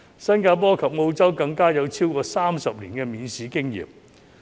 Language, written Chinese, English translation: Cantonese, 新加坡及澳洲更有超過30年的免試經驗。, Examination - free admission has more than 30 years of history in Singapore and Australia